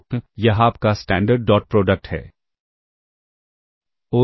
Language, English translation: Hindi, So, this is your standard dot product all right And